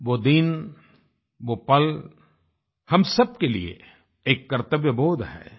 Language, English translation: Hindi, That day, that moment, instills in us all a sense of duty